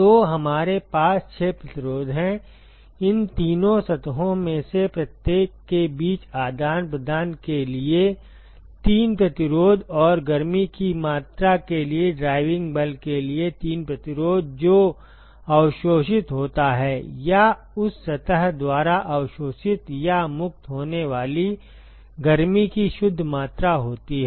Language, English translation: Hindi, So, we have 6 resistances; 3 resistances for exchange between each of three these three surfaces and 3 resistances for the driving force for the amount of heat, that is absorbed or the net amount of heat that is absorbed or liberated by that surface